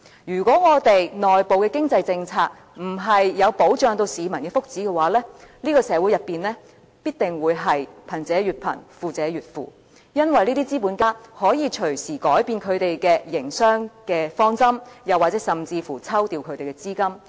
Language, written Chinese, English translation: Cantonese, 如果我們內部的經濟政策沒有保障市民的福祉，這個社會必定會貧者越貧，富者越富，因為這些資本家可以隨時改變他們的營商方針，甚至抽調其資金。, If our internal economic policies cannot protect the well - being of the common people the wealth gap in our society will definitely get wider and wider because these capitalists can change their business strategies any time they want to or simply pull out their capitals altogether